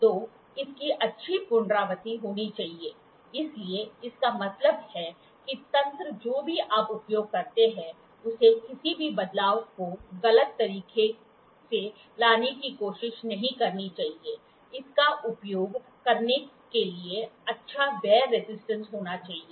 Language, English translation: Hindi, So, it should have good repeatability, so that means, to say the mechanism whatever you use should not try to bring in any change erratically, it should have wear resistance good wear resistance